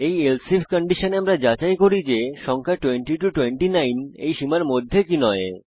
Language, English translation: Bengali, In this else if condition we check whether the number is in the range of 20 29